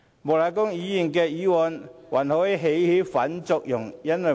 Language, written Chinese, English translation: Cantonese, 莫乃光議員的議案還可能起反作用。, Mr Charles Peter MOKs motion may even result in having counter effects